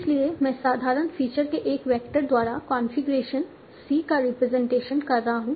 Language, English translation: Hindi, So I am representing the configuration C by a vector of simple features